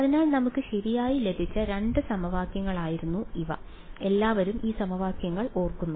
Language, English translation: Malayalam, So, these were the two equations that we had got right, everyone remembers these equations